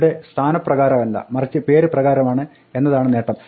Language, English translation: Malayalam, Now here the advantage is not by position but by name